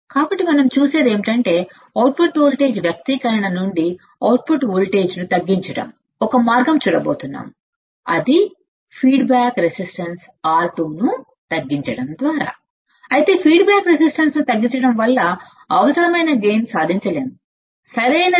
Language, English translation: Telugu, So, what we see is that we are going to see from the output voltage expression that one way to decrease output voltage is by minimizing the feedback resistance R 2, but decreasing the feedback resistance the required gain cannot be achieved, but decreasing resistance the feedback resistance the required gain cannot be achieved, right